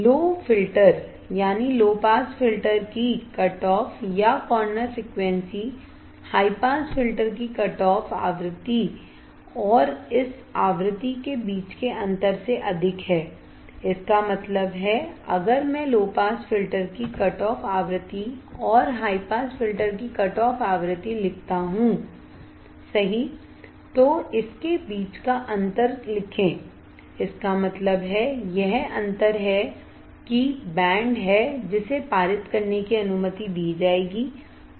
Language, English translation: Hindi, The cutoff or corner frequency of low filter is higher than the cutoff frequency of high pass filter and the difference between this frequency; that means, if I draw right the cutoff frequency of the low pass filter and the cutoff frequency of high pass filter write the difference between it; that means, this is the difference that is the band which will be allowed to pass